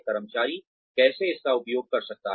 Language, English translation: Hindi, How the employee can use